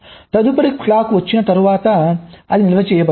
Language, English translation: Telugu, so after the next clock comes, so it will get stored